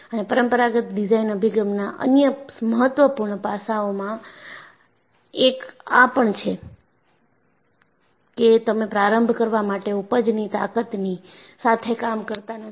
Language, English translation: Gujarati, And one of the other important aspects of conventional design approach is, you do not operate with the yield strength to start with